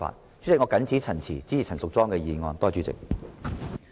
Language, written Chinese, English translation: Cantonese, 代理主席，我謹此陳辭，支持陳淑莊議員的議案。, Deputy President with these remarks I support Ms Tanya CHANs motion